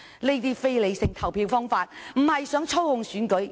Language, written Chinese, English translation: Cantonese, 這種非理性的投票方式，只是意圖操控選舉。, This irrational voting behaviour is only intended to manipulate the election